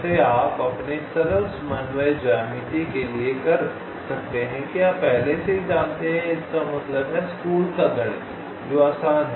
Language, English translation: Hindi, well, you can you simple coordinate geometry, for that you already know this is means school math staff